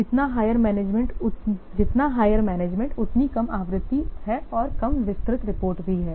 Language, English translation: Hindi, So higher is the management, lesser is the frequency and lesser is also the detailed reports